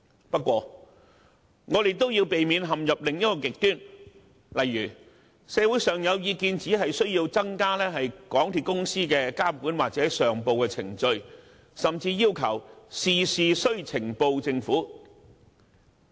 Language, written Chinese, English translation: Cantonese, 不過，我們也要避免陷入另一個極端，就是社會上可能有意見要求增加港鐵公司的監管或上報程序，甚至要求事事向政府呈報。, However we should also be mindful not to go to the other extreme and in response to public views tighten the control or reporting procedures of MTRCL or even require it to report to the Government on all matters